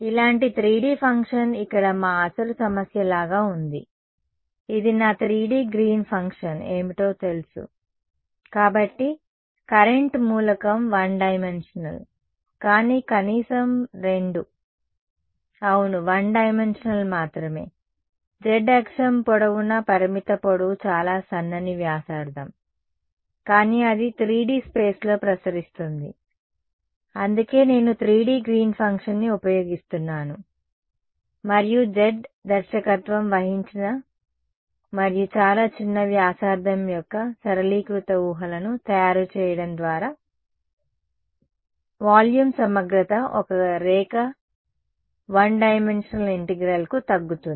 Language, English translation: Telugu, 3D Green's function like this is like our original problem over here what was this was my 3D Green's function know; so, the current element is one dimensional, but at least two yes, one dimensional only a long of finite length along the z axis its very thin and radius, but its radiating in 3D space that is why I am using the 3D Green's function and making the simplifying assumptions of z directed and very small radius that volume integral boil down to a line one dimensional integral